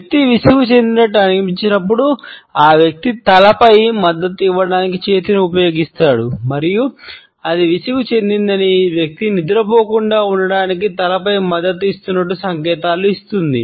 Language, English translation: Telugu, When the person feels bored, then the person uses the hand to support the head and it signals that the boredom has set in and the head is being supported so that the person does not fall down asleep